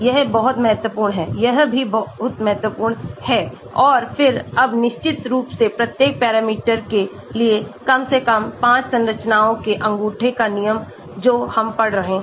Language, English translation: Hindi, that is very, very important that is also important and then now of course rule of thumb at least five structures for each parameter which we are studying